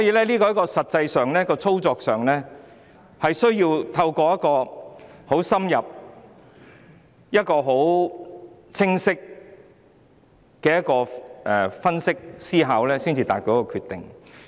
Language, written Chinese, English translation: Cantonese, 在實際操作上，我需要透過深入而清晰的思考分析，才能得出決定。, In actual operation I need to do some in - depth clear thinking and analysis before I can form a decision